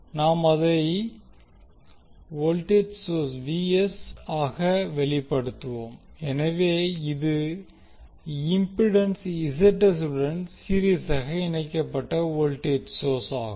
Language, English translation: Tamil, We will express it as Vs, so this is voltage source in series with Zs that is impedance